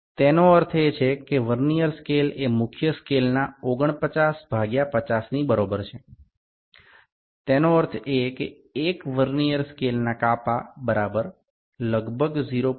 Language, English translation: Gujarati, That implies Vernier scale is equal to 49 by 50 of main scale; that means, 1 Vernier scale division is equal to it is about it is 0